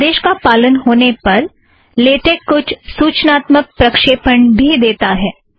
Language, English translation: Hindi, On execution of this command, latex gives some informative output also